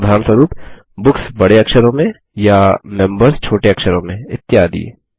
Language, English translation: Hindi, For example: BOOKS in capital letters, or members in small letters, etc